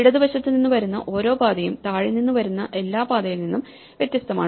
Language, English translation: Malayalam, So, every path that comes from the left is different from every path that comes from below